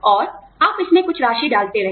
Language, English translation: Hindi, And, you keep putting, some amount of money in it